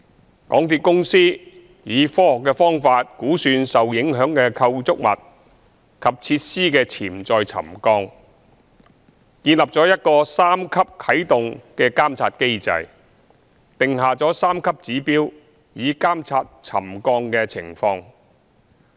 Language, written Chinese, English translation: Cantonese, 香港鐵路有限公司以科學方法估算受影響的構築物及設施的潛在沉降，建立了一個三級啟動監察機制，訂下三級指標以監察沉降的情況。, The MTR Corporations Limited MTRCL took a scientific approach to estimate the potential subsidence of the affected structures and facilities and established a monitoring system with a three - tier activation mechanism to monitor the subsidence based on three pre - set trigger levels